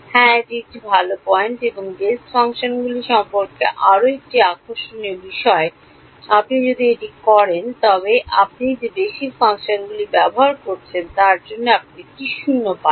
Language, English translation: Bengali, Yeah that is a good point and another very interesting thing about these basis functions if you do this you get a 0 for the basis functions we are using